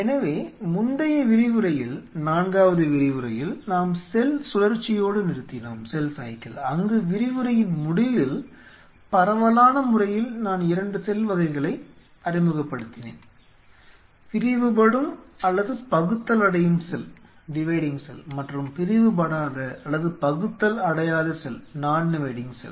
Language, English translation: Tamil, We closed on in the previous lecture in the fourth lecture on cell cycle, where is the fag end of the lecture I introduce the 2 cell types broadly speaking; the Dividing and the Non dividing cell